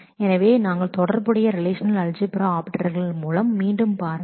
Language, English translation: Tamil, So, we look through the relational algebra operators again